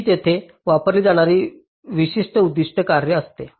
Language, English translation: Marathi, so these are the typical objective functions which are used here